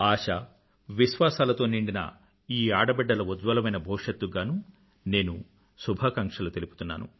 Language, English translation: Telugu, I wish all these daughters, brimming with hope and trust, a very bright future